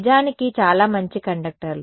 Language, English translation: Telugu, In fact, very good conductors ok